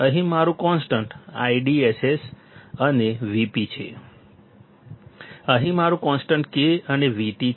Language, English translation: Gujarati, Here my constant is I DSS and V p here my constant is K and V T